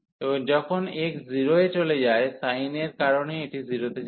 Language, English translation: Bengali, And when x goes to 0, because of the sin this will go to 0